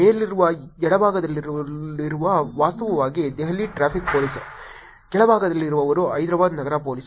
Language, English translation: Kannada, The one on the top left is actually Delhi traffic police, the one on the bottom is actually Hyderabad city police